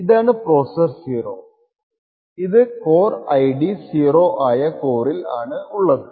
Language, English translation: Malayalam, So, this is processor 0 and which is present in this on the core with an ID of 0